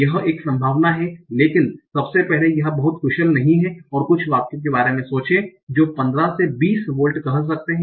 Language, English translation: Hindi, But firstly this is not very efficient and think of some sentences which might have say 15, 20 words